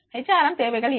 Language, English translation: Tamil, What are the HRM requirements